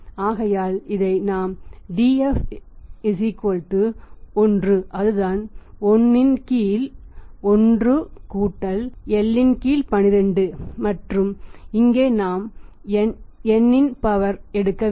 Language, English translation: Tamil, So, it is we can use this that is Df = 1 by that is 1 by 1 + I / 12 and here we have to take the power n